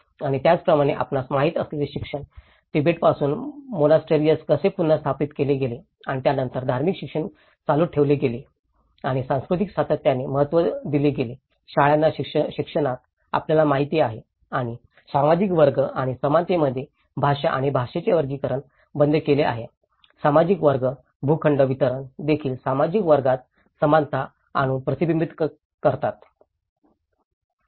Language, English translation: Marathi, And similarly, the education you know, how the monasteries have reestablished from Tibet and then the religious education have been continued and in the education of schools given importance for cultural continuity, you know and the language and discontinued hierarchy in social class and equality in the social class, how the plot distribution is also reflected through bringing the equality in the social classes